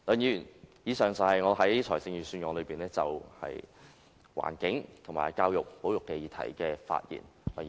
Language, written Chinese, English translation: Cantonese, 以上是我就預算案對環境、教育和保育議題的發言。, These are my remarks in relation to the areas on the environment education and conservation